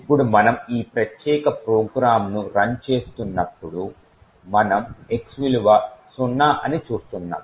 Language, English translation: Telugu, Now when we run this particular program what we see is that we obtain a value of x is zero